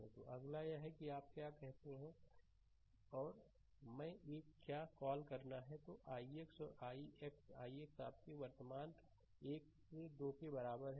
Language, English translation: Hindi, So, next is that you are what you call and I or what to call and i x this i x i x is equal your current moving from node 1 to 2